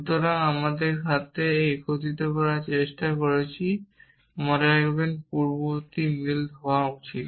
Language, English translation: Bengali, So, we are trying to unify this with this remember the antecedent should match